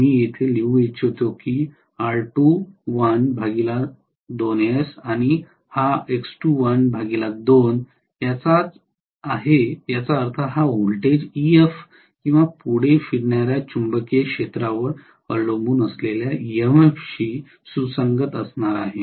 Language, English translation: Marathi, Let me write here this is R2 dash by 2 S, this is X2 dash by 2 which means this voltage is going to be corresponding to EF or forward revolving magnetic field dependent induced EMF